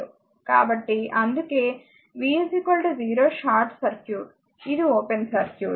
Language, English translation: Telugu, So, that is why v is equal to 0 short circuit, this is an open circuit